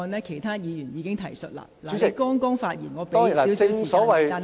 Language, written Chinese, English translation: Cantonese, 其他議員已經提述過相關個案，請你盡量簡短。, Other Members have already mentioned the relevant cases so please be concise